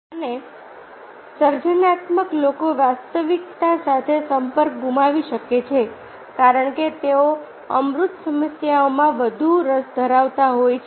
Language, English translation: Gujarati, and creative people may lose touch with reality because they are more interested in abstract problems